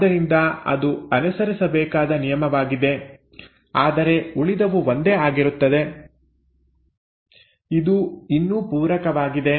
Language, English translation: Kannada, So this is the rule which has to be followed, but rest of it is the same, it is still complementarity